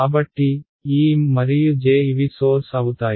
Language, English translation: Telugu, So, these M and J these are sources ok